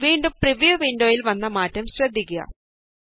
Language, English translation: Malayalam, Again notice the change in the preview window